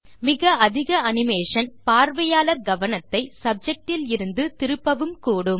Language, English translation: Tamil, Too much animation will take the attention of the audience away From the subject under discussion